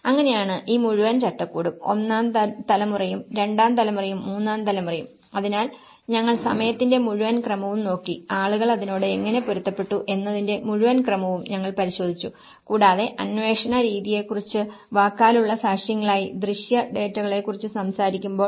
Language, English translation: Malayalam, And that is how this whole framework, the first generation, second generation and the third generation, so we looked at the whole sequence of time how people have adapted to it and when we talk about the methods of inquiry as oral testimonies, the visual data, the morphological studies, observation and expert advice